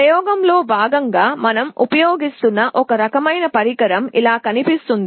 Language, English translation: Telugu, One kind of device we shall be using as part of the experiment looks like this